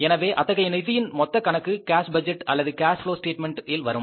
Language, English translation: Tamil, So, that total account of the funds that is kept in the cash budget or in the cash flow statement